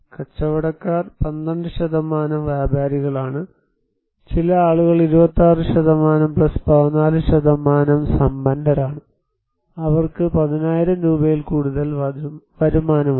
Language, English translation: Malayalam, And traders; 12% are traders, some people are rich like 26% + 14%, they have more income than 10,000 rupees